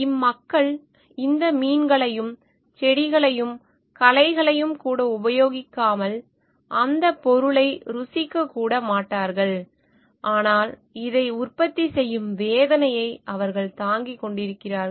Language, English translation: Tamil, These people may not even use the product and these fish and the plants, weeds, they not even taste the product, but they are bearing the pains of producing this